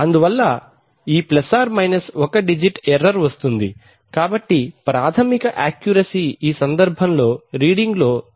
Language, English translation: Telugu, And therefore this ± one digit error comes, so basic accuracy is 0